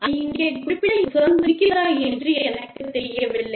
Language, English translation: Tamil, And, i do not know, if i have the liberty, to mention it here